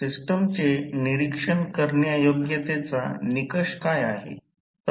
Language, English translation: Marathi, What is the criteria to find out the observability of the system